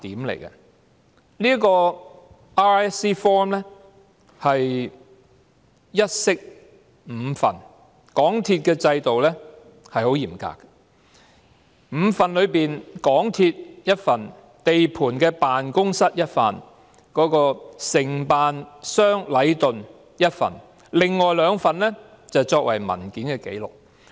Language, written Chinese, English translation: Cantonese, RISC forms 一式五份，港鐵公司的制度十分嚴格，在5份當中，港鐵公司有1份，地盤辦公室有1份，承辦商禮頓有1份，另外兩份則作為文件紀錄。, Under the rigorous system of MTRCL each RISC form comes in five hard copies one goes to MTRCL one to site offices one to Leighton the contractor with the remaining two being kept as filed records